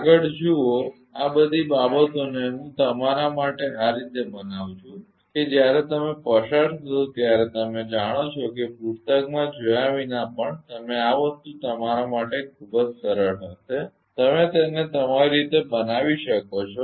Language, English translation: Gujarati, Ok, next look all these things I am making it for you such that when you will go through you know it will be very easy for you to this thing even even without looking into the book you can make it of your own right